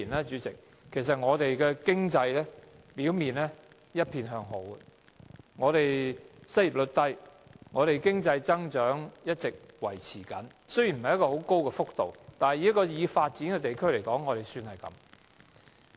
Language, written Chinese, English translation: Cantonese, 主席，過去數年，香港經濟表面上一片向好，失業率低，經濟增長一直維持，增幅雖然不是很高，但以一個已發展地區而言已算不錯。, President in the past few years the economy of Hong Kong appeared good with low unemployment rate and steady economic growth though the rate of increase is not very high it is not bad for a developed economy